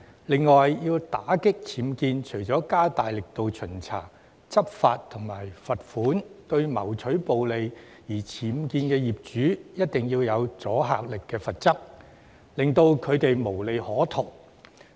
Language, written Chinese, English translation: Cantonese, 另外，要打擊僭建，除了加大力度巡查、執法和罰款，亦必須向為了牟取暴利而僭建的業主施加具阻嚇力的罰則，令他們無利可圖。, In order to combat UBWs the Government cannot simply step up its efforts on inspection enforcement and imposing fines . It must also impose penalties with deterrent effect on owners who profiteer from UBWs to reduce their profit margin